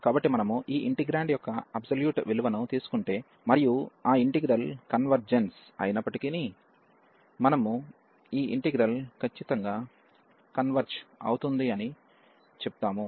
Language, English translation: Telugu, So, if you if we take the absolute value of this integrand, and even though that integral converges we call that the integral converges absolutely